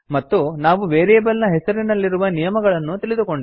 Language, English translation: Kannada, And We have also learnt the rules for naming a variable